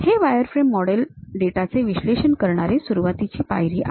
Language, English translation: Marathi, These wireframe models are the beginning step to analyze the data